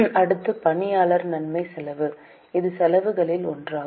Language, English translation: Tamil, Next is employee benefit expense